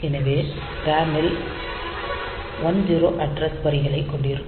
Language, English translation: Tamil, So, they it the RAM will have 10 address lines